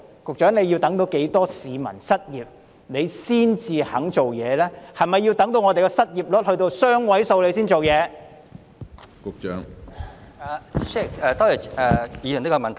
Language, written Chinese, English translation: Cantonese, 局長，你要等到多少市民失業才願意推行計劃，是否要等到失業率雙位數時才肯採取行動？, Secretary how many more people have to lose their jobs before you consider implementing the scheme? . Does the unemployment rate have to hit double - digit figures before you consider taking action?